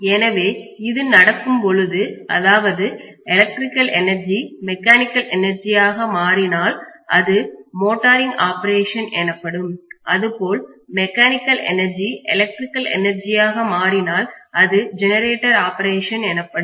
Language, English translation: Tamil, So when this is being done if electrical energy is converted into mechanical energy it is going to be motoring operation on one side whereas if I am going to do from mechanical energy to electrical energy this is known as generator operation